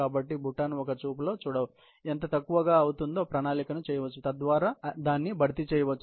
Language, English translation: Telugu, So, that the basket can be seen at a glance and it can be planned as to what is falling short so that, it can be replaced